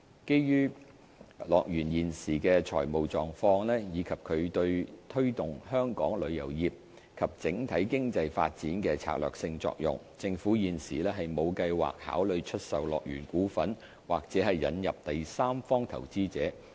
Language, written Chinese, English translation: Cantonese, 基於樂園現時的財務狀況，以及它對推動香港旅遊業及整體經濟發展的策略性作用，政府現時沒有計劃考慮出售樂園股份或引入第三方投資者。, Given the current financial positions of HKDL and its strategic role in promoting our tourism industry as well as the overall economic development the Government has no plan to sell our shares in HKITP or introduce third party investors at present